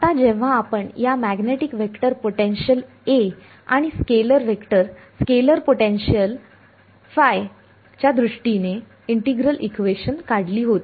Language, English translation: Marathi, Now, we when we had derived the integral equations in terms of this magnetic vector potential A and scalar vector scalar potential phi